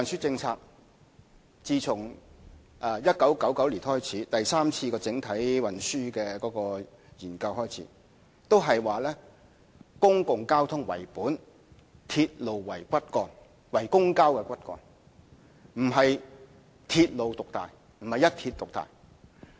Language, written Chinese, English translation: Cantonese, 自1999年第三次整體運輸研究開始，政府的運輸政策是以"公共交通為本，鐵路為公共交通骨幹"，而並非鐵路獨大，並非一鐵獨大。, Since 1999 when the Third Comprehensive Transport Study was completed the Governments transport policy has been public transport - oriented with railways as the backbone of public transport rather than emphasizing the predominance of railways or even the predominance of one railway corporation